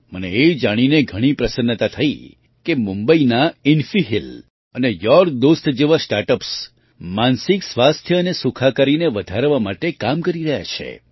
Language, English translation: Gujarati, I am very happy to know that Mumbaibased startups like InfiHeal and YOURDost are working to improve mental health and wellbeing